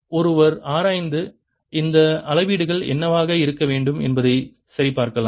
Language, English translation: Tamil, one can analyze this and check what these readings should be